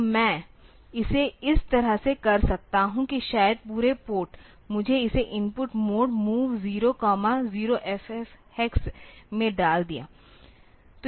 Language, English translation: Hindi, So, I do it like this maybe the entire port, I put it in the input mode MOV 0 comma 0 F F hex